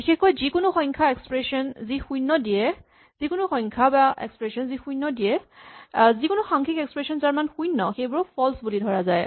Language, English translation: Assamese, In particular, any number, any expression, which returns a number 0, any numeric expression of value 0 is treated as false